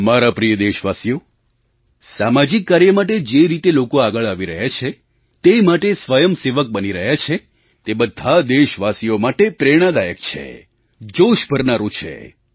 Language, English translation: Gujarati, My dear countrymen, the way people are coming forward and volunteering for social works is really inspirational and encouraging for all our countrymen